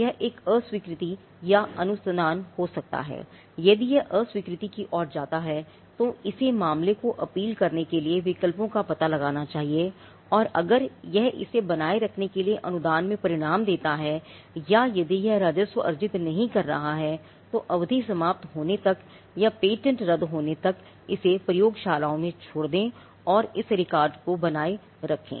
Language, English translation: Hindi, It may lead to a rejection or a grant; if it lead to a rejection it should explore the options to take the matter an appeal and if it results in the grant to maintain it or if it is not accruing revenue then at some point to leave it to labs and keep this record up until the term expires or the patent is revoked